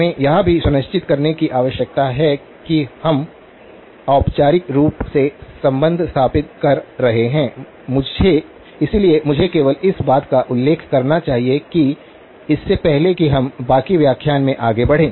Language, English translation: Hindi, We also need to make sure that we are formally stating the relationship, so let me just mention that very quickly before we move on to the rest of the lecture